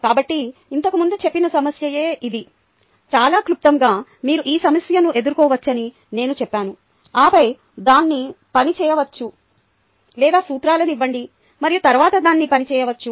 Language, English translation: Telugu, so the same problem that was mentioned earlier, ah, very briefly, i said you could pose this problem and then work it out, or give the principles and then work it out